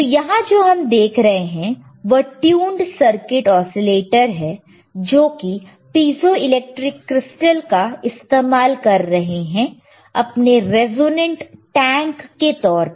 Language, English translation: Hindi, So, what we see here is a tuned circuit oscillator using piezoelectric crystals a as its resonant tank